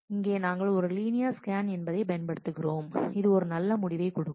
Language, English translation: Tamil, So, here we are using a linear scan and that itself will give a good result